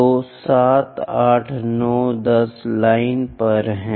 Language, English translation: Hindi, So, 7 8 9 10 10th line is this